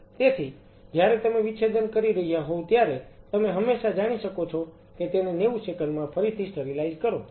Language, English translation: Gujarati, So, while you are dissecting you can always you know re sterilize it in 90 seconds and it still you can use